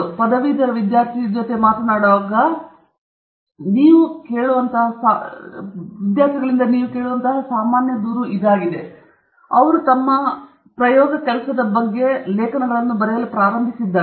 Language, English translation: Kannada, If you talk to a graduate student this may be the most common complaint that you will listen to from a graduate student or a post graduate student, who has just started writing papers about their work